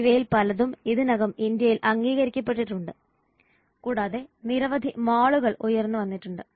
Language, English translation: Malayalam, Much of this has already been recognized in India and there are so many malls which have come up